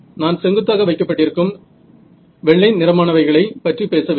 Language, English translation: Tamil, No, I am talking about these white colored things that are kept vertical